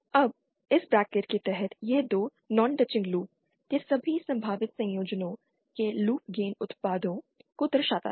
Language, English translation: Hindi, Now this term under this bracket shows the loop gain products of all possible combinations of 2 non touching loops